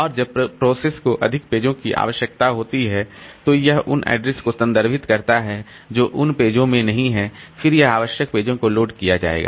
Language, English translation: Hindi, And as and when the process needs more pages, so it refers to addresses which are not there in those pages, then the required pages will be loaded